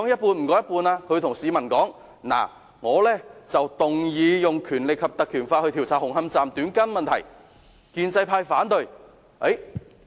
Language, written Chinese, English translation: Cantonese, 他會告訴市民，他提出引用《條例》調查紅磡站"短筋問題"，但建制派反對。, He may tell the public that his proposal to inquire into the cutting of steel bars at Hung Hom Station by invoking the Ordinance was opposed by the pro - establishment camp